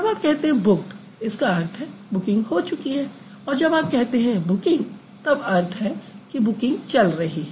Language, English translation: Hindi, When you say booking, booking is going on